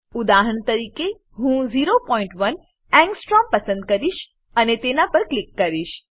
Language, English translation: Gujarati, For example, I will select 0.1 Angstrom and click on it